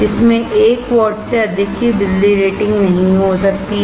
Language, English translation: Hindi, It cannot have a power rating of more than 1 watt